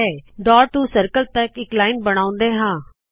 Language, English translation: Punjabi, Let us draw a line from this dot to the circle